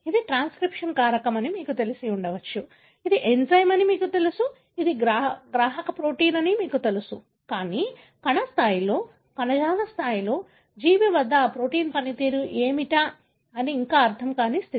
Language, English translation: Telugu, You may know it is a transcription factor, you may know it is an enzyme, you know it is a receptor protein and so on, but still what is the function of that protein at the cell level, at the tissue level, at the organism level that is yet to be understood